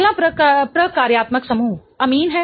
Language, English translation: Hindi, The next functional group is amine